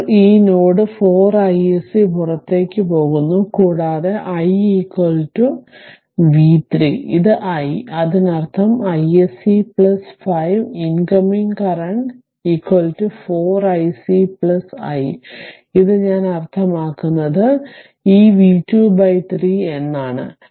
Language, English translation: Malayalam, So, 4 ah leaving this node 4 I s c and this I also leaving i is equal to v 3; this is is i ; that means, I s c plus 5 the incoming current is equal to your 4 I s c 4 I s c plus this your what you call this i right this i means this v 2 by 3 right